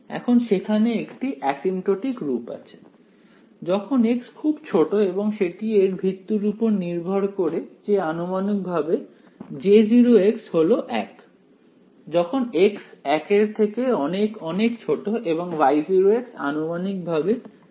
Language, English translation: Bengali, There exists an asymptotic form for this when x is very small and that is based on the fact that J 0 of x is approximately 1, when x is much much less than 1 and Y 0 of x is approximately 2 by pi log of x